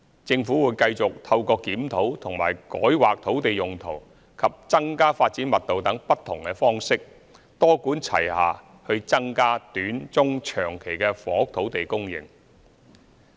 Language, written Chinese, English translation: Cantonese, 政府會繼續透過檢討和改劃土地用途及增加發展密度等不同方式，多管齊下去增加短、中、長期的房屋土地供應。, The Government will continue to increase the supply of land for housing in the short medium and long terms through multi - pronged measures such as reviewing land use and rezoning as well as increasing development density